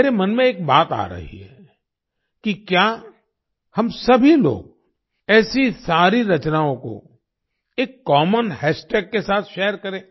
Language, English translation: Hindi, One thing comes to my mind… could we all share all such creations with a common hash tag